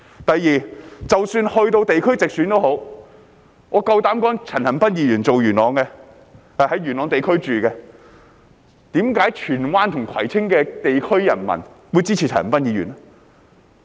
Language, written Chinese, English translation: Cantonese, 第二，即使在地區直選，我敢說一句，陳恒鑌議員居住在元朗，為何荃灣和葵青的地區人民會支持他呢？, Second regarding direct elections of geographical constituencies I dare to say the same . Mr CHAN Han - pan lives in Yuen Long yet why would people in Tsuen Wan and Kwai Tsing districts support him?